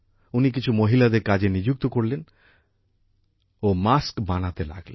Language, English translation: Bengali, He hired some women and started getting masks made